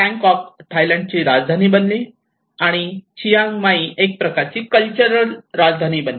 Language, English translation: Marathi, And the Bangkok becomes a capital city of the Thailand and Chiang Mai becomes a kind of cultural capital